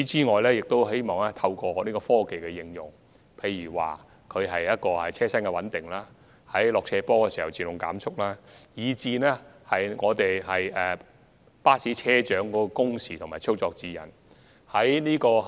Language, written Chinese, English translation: Cantonese, 我們亦希望透過科技應用，例如車身穩定器及下坡自動減速裝置，以及在巴士車長的工時和操作指引等方面作出改善。, We also hope to improve safety through the application of technologies such as vehicle stability control systems and automatic downhill speed reduction devices and also through the formulation of guidelines on bus captains working hours and operation